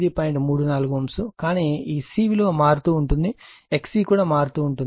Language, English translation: Telugu, 34 ohm, but this C is varying C X C varying